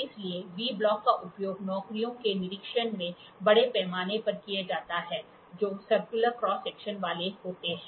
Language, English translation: Hindi, So, V block are extensively used in inspection of jobs which are having circular cross sections, V block